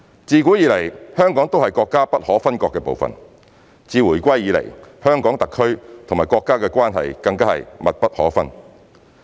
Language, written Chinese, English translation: Cantonese, 自古以來，香港都是國家不可分割的部分，自回歸以來，香港特區與國家的關係更是密不可分。, Hong Kong has been an inalienable part of the country since ancient times . Relationship between HKSAR and the country is even more intertwined since the reunification